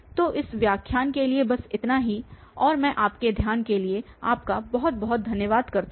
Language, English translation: Hindi, So, that is all for this lecture and I thank you very much for your attention